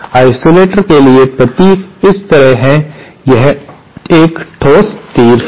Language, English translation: Hindi, Symbol for isolator is like this, it is a solid arrow